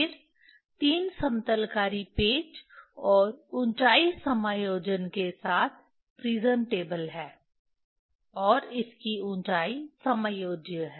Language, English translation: Hindi, Then prism table with 3 leveling screw and height adjustment and its height is adjustable